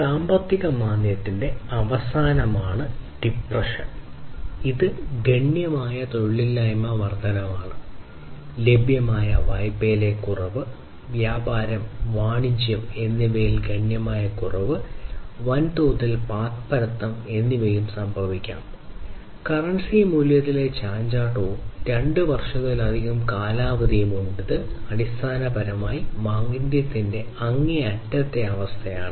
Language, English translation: Malayalam, Depression is the extremity of recession, which is observed by exponential unemployment increase, reduction in available credit, significant reduction in trade and commerce and huge number of bankruptcies might also consequently happen and there is volatility in currency value and the duration is more than two years and this is basically the extreme case of recession